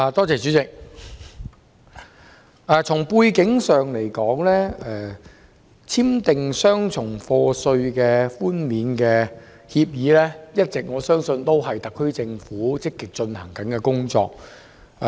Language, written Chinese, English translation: Cantonese, 主席，從背景上而言，我相信簽訂雙重課稅寬免協定一直是特區政府積極進行的工作。, President insofar as the background is concerned I believe the Government has been proactively pursuing the signing of Comprehensive Avoidance of Double Taxation Agreements CDTAs